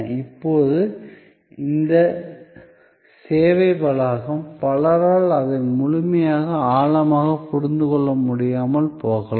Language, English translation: Tamil, Now, this services complex, so many people may not be able to understand it in full depth